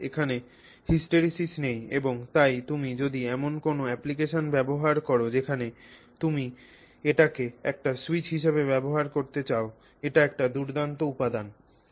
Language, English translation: Bengali, Specifically there is no hysteresis, more specifically there is no hysteresis and therefore if you are using it for some application where you want to use it as a switch, this is an excellent material to have